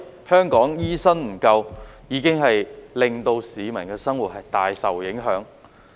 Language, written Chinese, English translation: Cantonese, 香港的醫生不足，已經令市民的生活大受影響。, The shortage of doctors in Hong Kong has affected peoples livelihood considerably